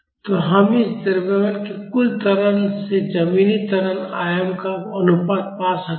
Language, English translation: Hindi, So, we can find the ratio of the total acceleration of this mass to the ground acceleration amplitude